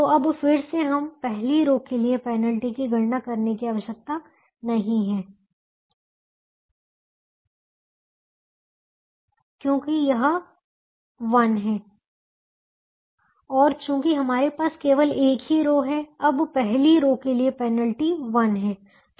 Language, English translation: Hindi, the penalty for the first row is one, the penalty for the first row is one, and since we have only one row now, penalty for the first row is one